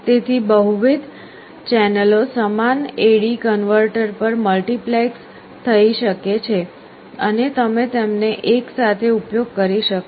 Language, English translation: Gujarati, So, multiple channels can be multiplexed on the same A/D converter and you can use them simultaneously